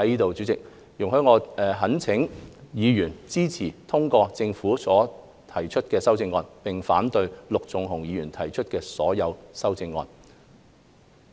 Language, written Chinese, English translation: Cantonese, 主席，容許我懇請議員支持通過政府提出的修正案，並反對陸頌雄議員提出的所有建議修正案。, Chairman I implore Members to support the passage of the Governments proposed amendments and oppose all of the amendments proposed by Mr LUK Chung - hung